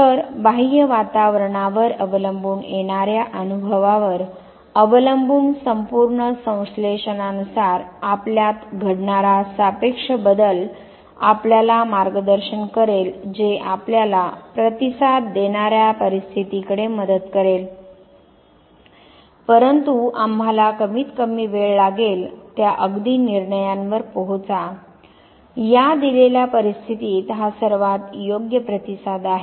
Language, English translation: Marathi, So, depending on the external environment, depending on the incoming experience, depending on the entire synthesis, the relative change that takes place within us that will guide us that will facilitate us towards situation where we yield a response, but we take minimum time to arrive at that very decision this is most appropriate response in this given situation